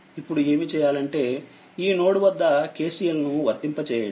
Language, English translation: Telugu, Now what you do is you apply KCL at node at this point